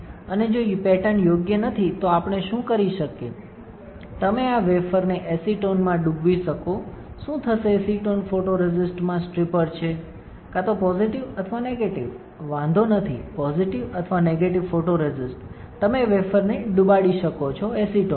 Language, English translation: Gujarati, And if the patterns are not correct, what we can do is, you can dip you can dip this wafer in acetone, what would happen acetone is a stripper for photoresist, either a positive or negative does not matter positive or negative photoresist, you can dip the wafer in acetone